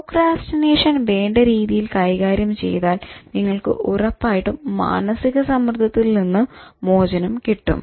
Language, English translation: Malayalam, Handling procrastination obviously will relieve you from stress and it will make you cool